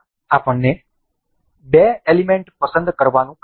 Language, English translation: Gujarati, This asks us to select two particular elements